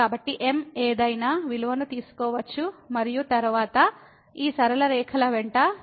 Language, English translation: Telugu, So, m can take any value and then, we are approaching to the point here the along these straight lines